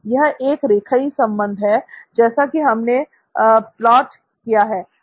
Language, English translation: Hindi, So that’s linear relationship as we have plotted it